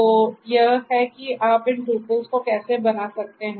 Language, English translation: Hindi, So, this is how you can create these tuples